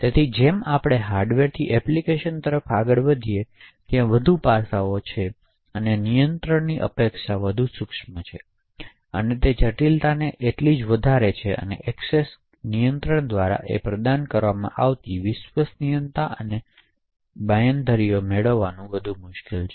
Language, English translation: Gujarati, So as we move from the hardware to the application there are more aspects and more finer expects to be control, so the complexity increases the same way and also the reliability and the guarantees that can be provided by the access control is more difficult to achieve